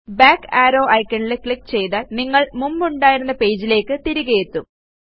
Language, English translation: Malayalam, Clicking on the back arrow icon will take you back to the page where you were before